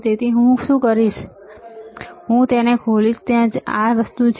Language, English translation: Gujarati, So, what I will do is, I will open this right there is this thing